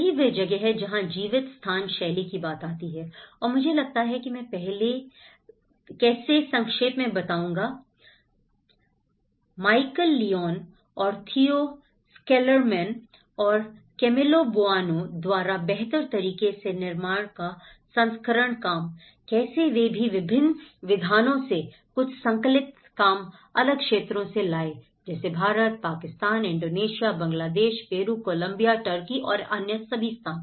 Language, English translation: Hindi, That is where the lived space comes into it and I think I will summarize on how in the first version of build back better by Michal Lyons and Theo Schilderman and Camillo Boanaís work, how they even brought some of the compiled work of various scholars from different regions India, Pakistan, Indonesia, Bangladesh, Peru, Colombia, Turkey and all other places